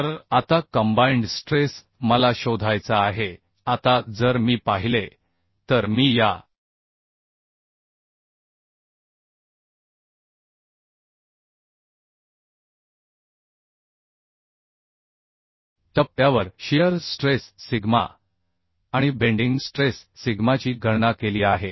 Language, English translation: Marathi, So now combine stress I have to find out now if I see I have calculated at this point the shear stress sigma S shear stress sigma S and bending stress sigma b so I have to find out the combine stress right